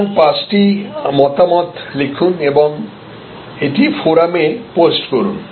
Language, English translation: Bengali, So, write five views and post it on the forum